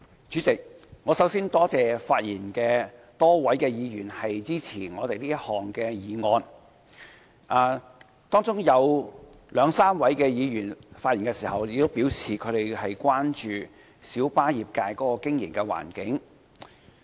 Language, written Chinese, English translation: Cantonese, 主席，我首先多謝發言的多位議員支持政府這項議案。當中有兩三位議員在發言時表示，他們關注到小巴業界的經營環境。, President first of all I would like to thank the Honourable Members who have spoken to support the Governments motion with two or three Members expressing concern about the business environment of the minibus trade in their speeches